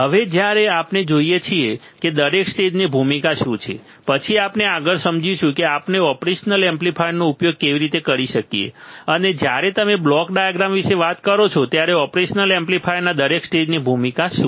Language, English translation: Gujarati, Now, when we see; what is the role of each stage, then we will understand further that how we can use the operation amplifier and what is the role of each stage of the operational amplifier when you talk about the block diagram